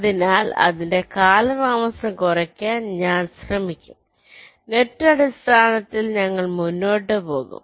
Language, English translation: Malayalam, so i will be trying to minimize the delay of this net like that, on a net by net basis we shall proceed